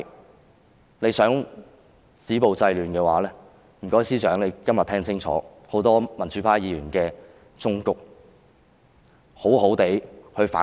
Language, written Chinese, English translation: Cantonese, 政府如果想止暴制亂，麻煩司長今天聽清楚多位民主派議員的忠告，好好地反省。, If the Government wants to stop violence and curb disorder will the Chief Secretary please take good heed of the advice tended by a number of pro - democratic Members today and engage in proper soul - searching